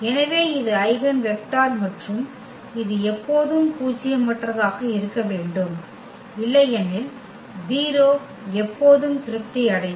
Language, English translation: Tamil, So, this is the eigenvector and this has to be always nonzero otherwise, the 0 will be satisfied always